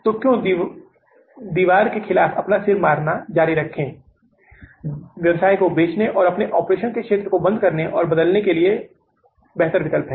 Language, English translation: Hindi, So why to keep on hitting your head against the wall is better to sell the business or to close down and change the area of your operation